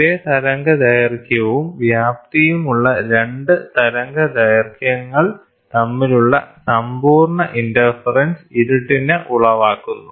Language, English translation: Malayalam, So, complete interference between the 2 wavelengths having the same wavelength and amplitude produces your darkness